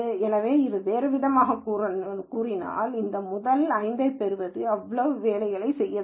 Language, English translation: Tamil, So, in other words to get this top 5 have to do so much work